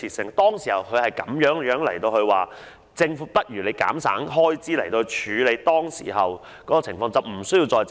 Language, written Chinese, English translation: Cantonese, 他當時就是這樣建議政府減省開支，以處理當前情況，而無須再借款。, That was how he advised the Government to cut costs in order to address the prevailing situation thereby obviating the need to make borrowings back then